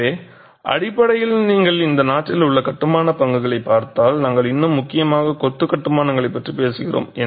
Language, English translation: Tamil, So essentially, if you look at the built stock in this country, we are still talking of predominantly masonry constructions